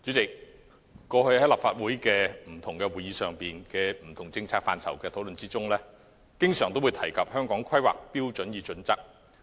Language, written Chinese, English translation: Cantonese, 代理主席，過去立法會會議上就不同政策範疇的討論中，經常提及《香港規劃標準與準則》。, Deputy President the Hong Kong Planning Standards and Guidelines HKPSG has often been mentioned in the previous discussions on various policy areas at Legislative Council meetings